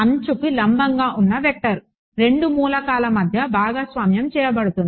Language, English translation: Telugu, A vector which is normal to the edge, that is shared between 2 elements